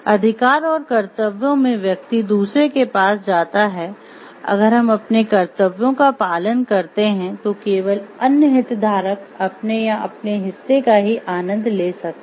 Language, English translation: Hindi, So, rights and duties actually goes hand in hand, if we in do our duties and reciprocate then only there other stakeholder can enjoy his or her or their part of right